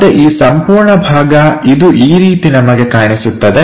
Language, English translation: Kannada, Again this entire part we will see it like this one